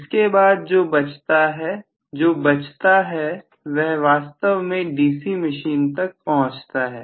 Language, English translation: Hindi, What is available after this is actually being said to the DC machine